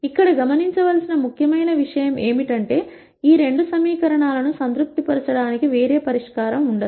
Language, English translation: Telugu, The important thing to note here is, no other solution will be able to satisfy these two equations